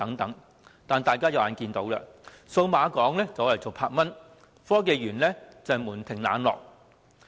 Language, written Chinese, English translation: Cantonese, 但是，大家也看到，數碼港和科學園均門庭冷落。, However as we are aware both the Cyberport and the Science Park are rather deserted now